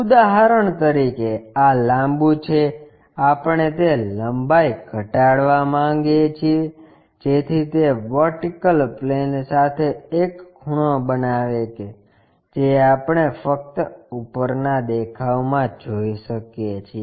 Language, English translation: Gujarati, For example, this is the longer one, we want to decrease that length, so that it makes an angle with the vertical plane, that we can see only in the top view